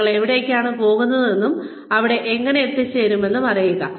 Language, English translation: Malayalam, Knowing, where you are going, and how you can get there